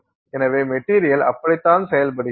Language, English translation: Tamil, So, that is how the material behaves